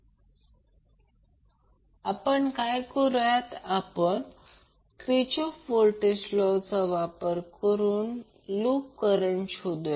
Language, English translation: Marathi, We will utilize the Kirchoff’s voltage law to find out the loop current